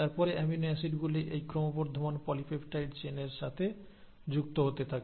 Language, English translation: Bengali, And then the amino acids keep on getting added onto this growing chain of polypeptide